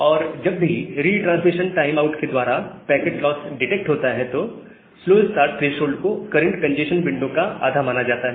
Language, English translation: Hindi, And whenever a packet loss is detected by a retransmission timeout, the slow start threshold is said to be half of the current congestion window